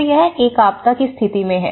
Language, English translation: Hindi, So, this is in the event of a disaster